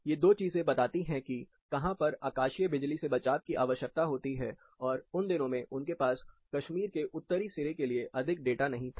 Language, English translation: Hindi, These two things actually represent, where lighting protection is required, in those days, they did not have much data for northern tip of Kashmir